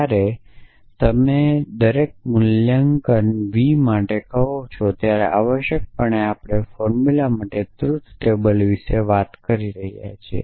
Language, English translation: Gujarati, So, when you say for every valuation v essentially we are talking about the truths table for the formula